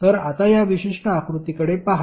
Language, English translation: Marathi, So, now look at this particular figure